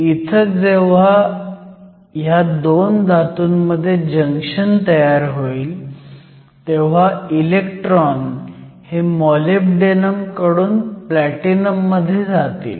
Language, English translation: Marathi, So, in this diagram we said that when we form the junction between the Platinum and Molybdenum, electrons move from moly to platinum